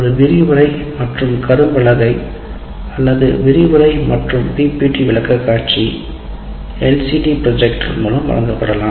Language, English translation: Tamil, It can be presented through a lecture, a lecture in a blackboard or lecture at a PPP presentation through LCD projector